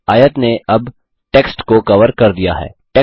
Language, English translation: Hindi, The rectangle has now covered the text